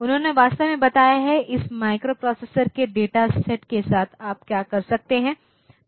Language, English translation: Hindi, So, they actually have told like what are the operations that you can do with the data set in this microprocessor